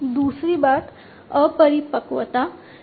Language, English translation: Hindi, The second thing is the immaturity